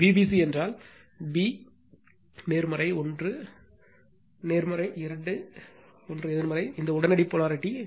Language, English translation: Tamil, V b c means b positive 1st one is positive, 2nd one is negative right, this instantaneous polarity